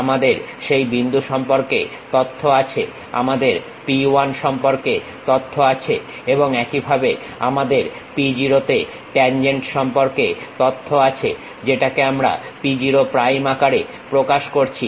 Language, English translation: Bengali, We have information about that point, we have information about p 1 and similarly we have information about the tangent at p0, which we are representing p0 prime